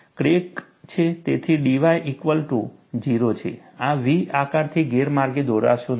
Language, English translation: Gujarati, Do not get misled by this V shape